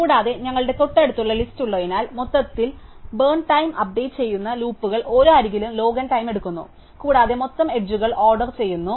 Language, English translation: Malayalam, And because we have adjacency list, right, overall the loops updating the burn times takes log n time per edge, and there are totally order m edges